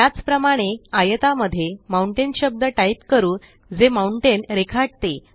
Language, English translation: Marathi, Similarly, lets type the word Mountain in the triangle that depicts the mountain